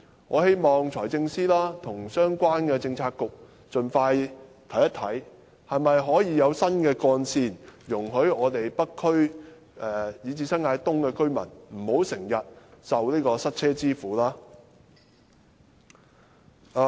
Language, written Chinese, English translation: Cantonese, 我希望財政司司長和相關的政策局盡快檢視可否興建新幹線，讓北區以至新界東的居民不必經常受塞車之苦。, I hope that the Financial Secretary and the Policy Bureaux concerned can review quickly whether new trunk routes can be built with a view freeing residents in the North District and New Territories East from the plight of traffic jam